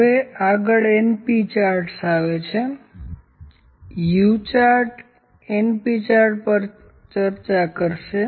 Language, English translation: Gujarati, So, next comes np chart, the U chart will discuss the np chart